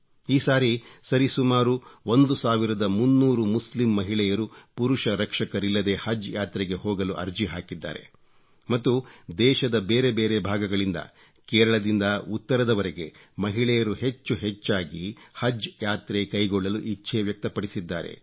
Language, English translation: Kannada, Today, Muslim women can perform Haj without 'mahram' or male Guardian and I am happy to note that this time about thirteen hundred Muslim women have applied to perform Haj without 'mahram' and women from different parts of the country from Kerala to North India, have expressed their wish to go for the Haj pilgrimage